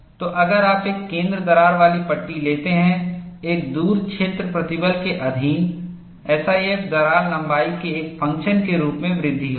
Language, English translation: Hindi, So, if you take a center cracked panel, subjected to a far field stress, SIF would increase as the function of crack length